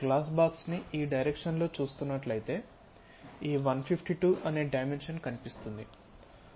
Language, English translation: Telugu, So, if we are looking in this direction for the glass box, this dimension 152 will be visible